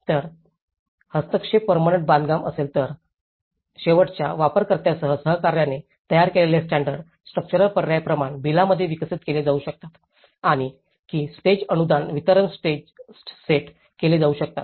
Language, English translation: Marathi, If the intervention is permanent construction, then the standardized structural options designed in collaboration with end users can be developed into standard bill of quantities and set key stage grant disbursements